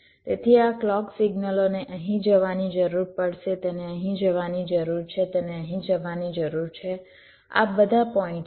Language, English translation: Gujarati, so this clock signal will need to go here, it need to go here, need to go here to all this points